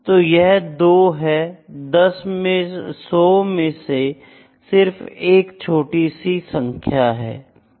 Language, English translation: Hindi, So, this is 2 out of 100 is just a small number